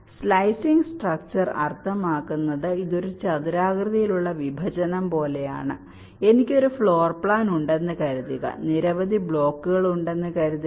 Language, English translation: Malayalam, slicing structure means it is like a rectangular dissection, like, let say, suppose i have a floor plan, say there are many blocks